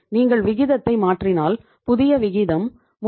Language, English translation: Tamil, This is the new ratio 34